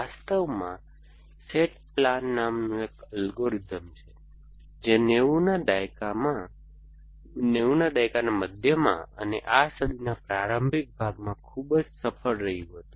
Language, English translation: Gujarati, In fact, there was an algorithm called S A T plan which was very successful in the mid nineties and early part of this century